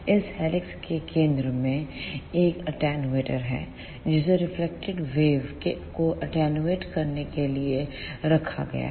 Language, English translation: Hindi, At the centre of this helix, there is a attenuator which is placed to attenuate the reflected waves